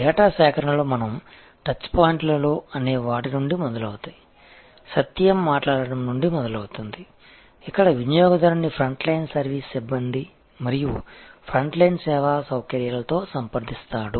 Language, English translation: Telugu, Starts, the data collections starts from what we call at the touch points, starts from the moments of truth, where the customer comes in contact with the front line service personnel and the front line service facilities